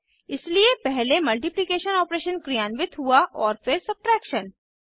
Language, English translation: Hindi, So the multiplication opertion is performed first and then subtraction is performed